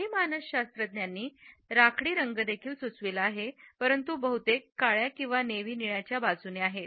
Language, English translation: Marathi, Some psychologists have suggested gray also, but the majority is in favor of black or navy blue